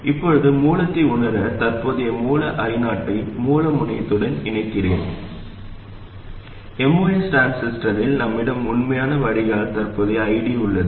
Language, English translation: Tamil, Now to sense at the source, I connect the current source I not to the source terminal and we have the actual drain current ID in the most transistor